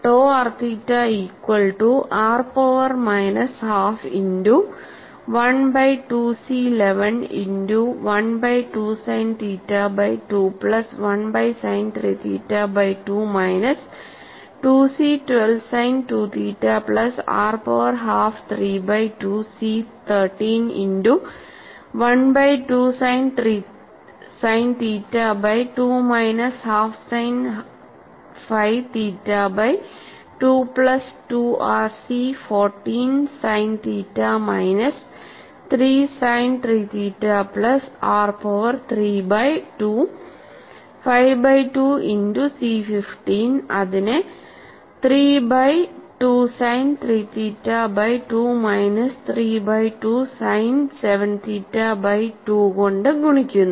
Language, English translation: Malayalam, Then you go for tau r theta: tau r theta is r power minus half multiplied by 1 by 2 C 11 multiplied by 1 by 2 sin theta by 2 plus 1 by 2 sin 3 theta by 2 minus 2 C 12 sin 2 theta plus r power half 3 by 2 C 13 multiplied by 1 by 2 sin theta by 2 minus half sin phi theta by 2 plus 2 r C 14 sin theta minus 3 sin 3 theta plus r power 3 by 2 5 by 2 multiplied by C 15 which is multiplied by 3 by 2 sin 3 theta by 2 minus 3 by 2 sin 7 theta by 2, and the last term is 3 r squared C 16 2 sin 2 theta minus 4 sin 4 theta